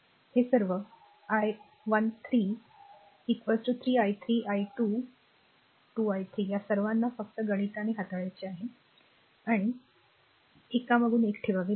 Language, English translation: Marathi, All this i 1 3 is equal to 3 i 3 i 2 2 i 3 all you have got just you have to manipulate mathematically, and you have to put one after another if you put